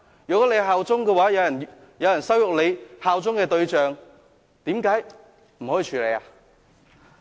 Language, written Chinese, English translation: Cantonese, 如果大家效忠的話，有人羞辱大家效忠的對象，為何不可以處理？, If Members do bear allegiance to those and if someone insulted a target to which Members bear allegiance why can we not pursue it?